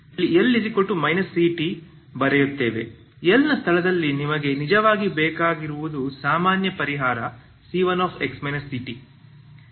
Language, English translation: Kannada, So in the place of l what you actually require is for the general solution c 1 of x minus ct